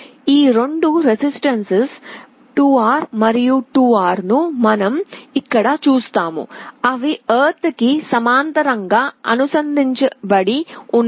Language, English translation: Telugu, You see here these two resistances 2R and 2R, they are connected in parallel to ground